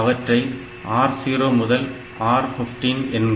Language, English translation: Tamil, So, it is, it has got R 0 to R 15